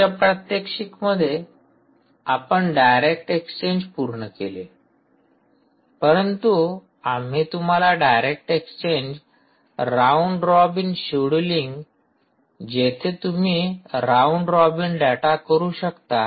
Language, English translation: Marathi, we completed direct exchange in the previous demo, but what we would also like to show you is the nice possibility of direct exchange, round robin scheduling ok, you can do a round robin kind of data